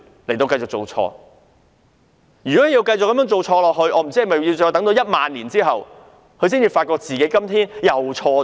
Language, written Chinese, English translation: Cantonese, 這樣繼續下去，我真的不知道是否要在1萬年後，她才會發現自己今天又做錯了。, When she goes on like that I really do not know if it will take 10 000 years before she finds that she has done something wrong again today